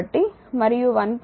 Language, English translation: Telugu, So, and 1